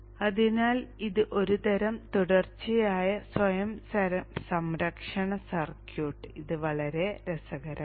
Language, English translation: Malayalam, So this is a kind of a continuous self protection circuit